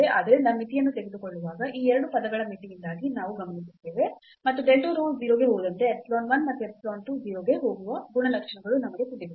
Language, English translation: Kannada, So, when taking the limit, so we observe because of the boundedness of these 2 terms and we know the properties of these epsilon 1 and epsilon 2 that they go to 0 as delta rho goes to 0 means delta x go to 0 delta y go to 0